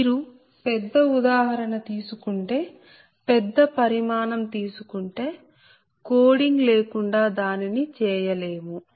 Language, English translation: Telugu, if you take bigger example, larger dimension size, then ah, without coding we cannot do that, ah